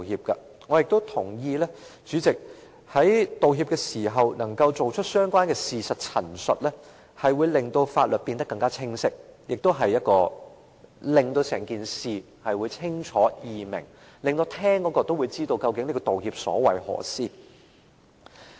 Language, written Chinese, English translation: Cantonese, 代理主席，我也同意在道歉時能夠作相關的事實陳述，會令法律變得更清晰，使整件事更清楚和容易明白，亦令聆聽者知道究竟有關的道歉所為何事。, Deputy President I also agree that if a relevant statement of facts is included in the apology the legislation will have greater clarity the incident will be clearer and easier to be understood and the listener will know the subject of the apology